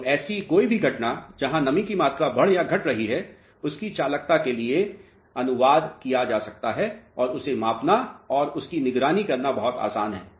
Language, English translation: Hindi, So, any phenomena where the moisture content is increasing or decreasing can be translated to its conductivity which is very easy to measure and very easy to monitor